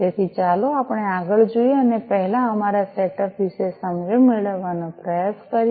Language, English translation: Gujarati, So, let us go further and try to get an understanding first about our setup